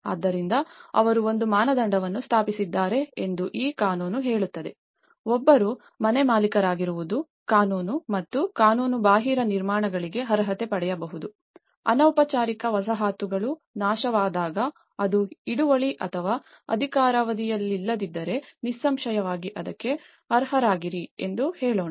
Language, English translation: Kannada, So, this law states that they have established a criteria, one is being a homeowner both legal and illegal constructions can qualify, let’s say when informal settlements have been destroyed then obviously if it is a tenured or a non tenured so, they were still be eligible for it